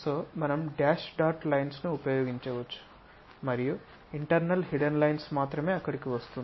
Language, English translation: Telugu, So, we can use by dash dot lines and only internal hidden portion comes out there